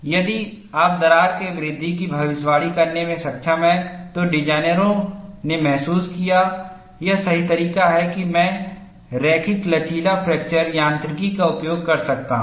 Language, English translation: Hindi, If you are able to predict the crack growth, then designers felt, this is the right way that I can go and use linear elastic fracture mechanics